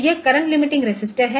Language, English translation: Hindi, So, this is the current limiting resistor